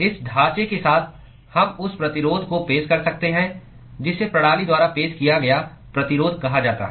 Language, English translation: Hindi, With this framework, we could introduce what has called the resistance that is offered by the system